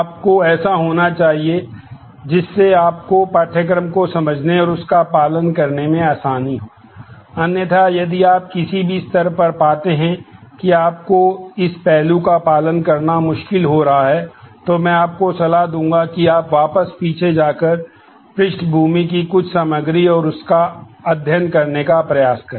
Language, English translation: Hindi, You should be that would make it easier for you to understand and follow the course; otherwise if you find at any stage that you are finding any of this aspect difficult to follow in the course then I would advise that you go back to some of the background material and try to study them